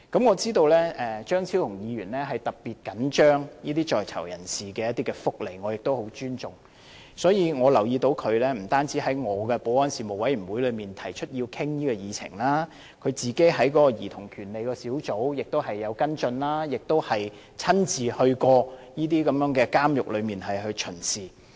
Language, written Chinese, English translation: Cantonese, 我知道張超雄議員特別緊張在囚人士的福利，我亦很尊重，所以，我留意到他不單在我的保安事務委員會內提出要討論這項議題，他在兒童權利小組委員會中亦有跟進，亦親自巡視過這些監獄。, As I know Dr Fernando CHEUNG is particularly concerned about the well - being of prisoners and I highly respect what he has done . I notice that apart from proposing a discussion on this subject in my Panel on Security he has also followed up the matter in the Subcommittee on Childrens Rights and has personally visited the prisons concerned